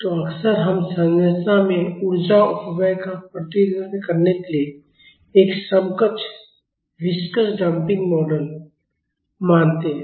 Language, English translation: Hindi, So, often we assume an equivalent viscous damping model to represent the energy dissipation in a structure